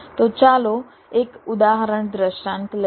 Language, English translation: Gujarati, so lets take an example illustration